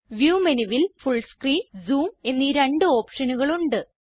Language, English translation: Malayalam, In the View menu, we have two options Full Screen and Zoom